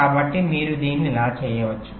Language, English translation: Telugu, so how you can do this